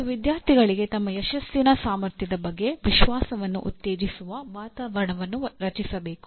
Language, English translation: Kannada, And creating an atmosphere that promotes confidence in student’s ability to succeed